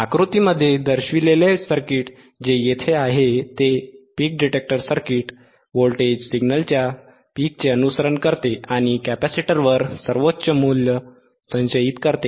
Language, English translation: Marathi, So, let us see, the circuit shown in figure follows the voltage peaks of a signal and stores the highest value on a capacitor